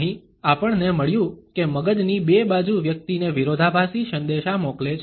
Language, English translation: Gujarati, Here, we find that the two sides of the brain sent conflicting messages to the person